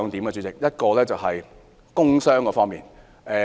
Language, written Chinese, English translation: Cantonese, 第一，是關於工傷方面。, The first is about work injuries